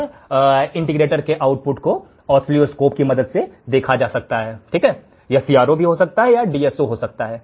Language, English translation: Hindi, And the output of the integrator can be seen with the help of oscilloscope it can be CRO it can be DSO